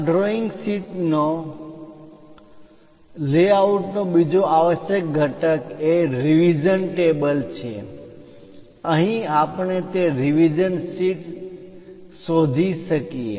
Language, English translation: Gujarati, The other essential component of this drawing sheet layout is revision table, here we can find that revision sheet